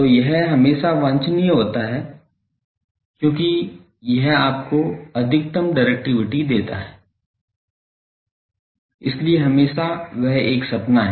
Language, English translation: Hindi, So, that is always desirable because that gives you maximum directivity thing so, always that is a dream